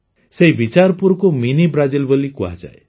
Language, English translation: Odia, Bicharpur is called Mini Brazil